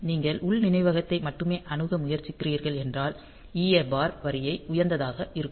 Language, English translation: Tamil, So, and if you are trying to access only internal memory then the EA bar line will be made high